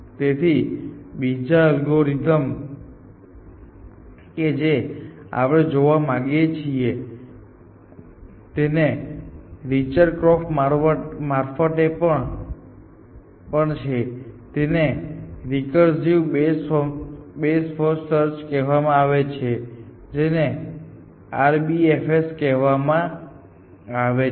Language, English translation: Gujarati, So, the next algorithm that we want to look at, which is also by Richard Korf is called recursive best first search, popularly known as RBFS